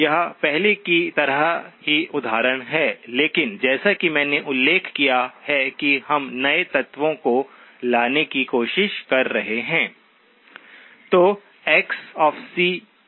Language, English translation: Hindi, It is the same example as before but as I mentioned we are trying to bring out newer elements